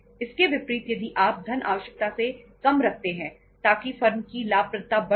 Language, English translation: Hindi, Contrary to this, if you keep the funds means the lesser than the requirements so as to increase the profitability of the firm